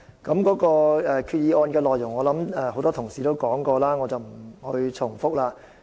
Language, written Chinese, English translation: Cantonese, 有關決議案的內容，很多同事已經提及，我不再重複。, As a number of Members have talked about the content of the resolution I am not going to repeat